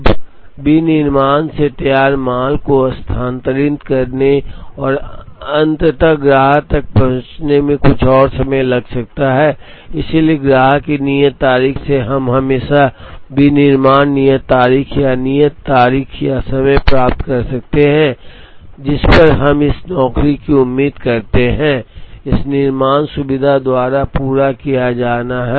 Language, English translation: Hindi, Now from manufacturing, it might take some more time for the finished goods to move and ultimately reach the customer, so from the customer due date, we could always derive the manufacturing due date or the due date or time, at which we expect this job to be completed by this manufacturing facility